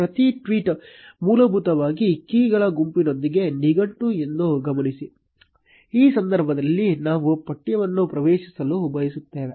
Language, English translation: Kannada, Note that each tweet is basically a dictionary with a set of keys, in this case we want to access the text